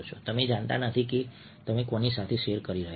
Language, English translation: Gujarati, you don't know if you are who you are sharing with